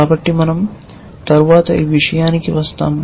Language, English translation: Telugu, So, let us, I will come to this later